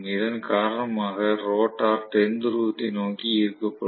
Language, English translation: Tamil, Because of which the rotor will be attracted towards the South Pole